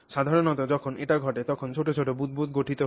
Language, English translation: Bengali, Generally when that happens, small bubbles are formed